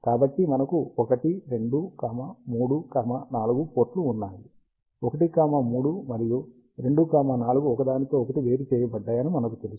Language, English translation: Telugu, So, we have ports 1, 2, 3, 4, we know that 1, 3, and 2, 4 are isolated from each other